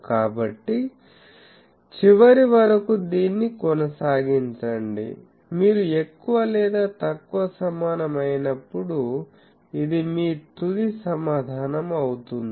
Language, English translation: Telugu, So, go on doing that finally, when you are more or less equated this that is your final answer